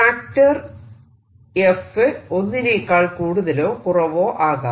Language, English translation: Malayalam, f could be greater than one, smaller than or whatever